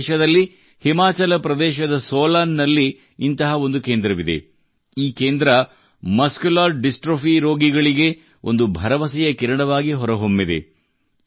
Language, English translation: Kannada, We have such a centre at Solan in Himachal Pradesh, which has become a new ray of hope for the patients of Muscular Dystrophy